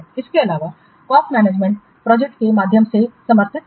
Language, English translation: Hindi, And cost management is supported through Microsoft project and resource management